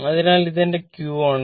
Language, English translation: Malayalam, So, this is my q right